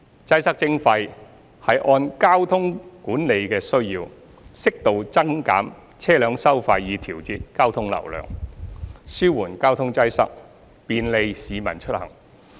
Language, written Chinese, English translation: Cantonese, "擠塞徵費"是按交通管理的需要，適度增減車輛收費以調節交通流量，紓緩交通擠塞，便利市民出行。, Congestion Charging means to increase or reduce vehicle tolls to regulate traffic flow according to the needs of traffic management so as to alleviate traffic congestion and facilitate the commute of the public